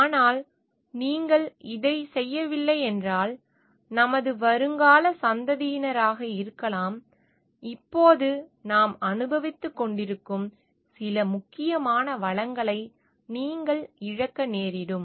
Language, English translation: Tamil, But if you are not doing this, then may be our future generations and will be deprived of some important resources that we are enjoying now